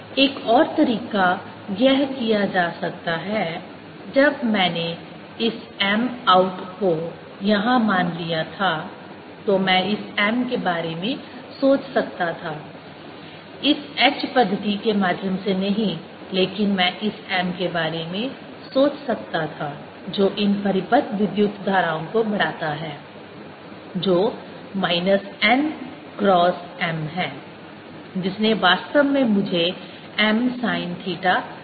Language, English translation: Hindi, i could have thought of this m not as this through h method, but i could have thought of this m giving rise to these bound currents which are minus n cross m, which actually gave me m sine theta